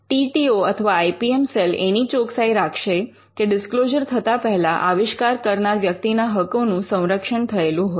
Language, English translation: Gujarati, The TTO or the IPM cell would help an inventor to ensure that the rights are protected before a disclosure is made